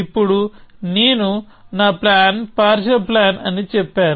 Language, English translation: Telugu, Now I have said that my plan is a partial plan